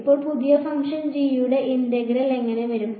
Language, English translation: Malayalam, So, how will the integral of the new function g come